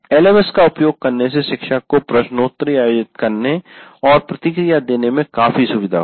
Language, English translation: Hindi, Using an LMS will greatly facilitate the teacher to conduct a quiz and give feedback